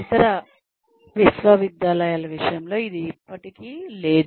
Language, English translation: Telugu, It is still not the case with other universities